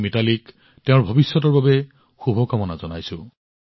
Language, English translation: Assamese, I wish Mithali all the very best for her future